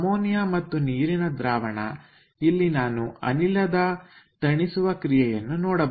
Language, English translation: Kannada, so ammonia water solution here we can see this is the cooling curve of the gas